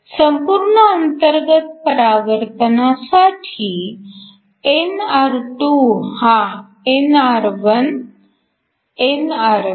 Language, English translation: Marathi, For total internal reflection, we want nr2 to be greater nr1, nr3